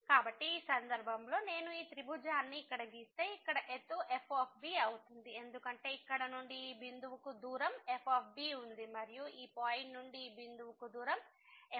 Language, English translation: Telugu, So, in this case if I draw this triangle here the height here will be because the distance from here to this point is and the distance from this point to this point here is